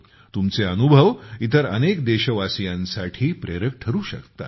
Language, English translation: Marathi, Your experiences can become an inspiration to many other countrymen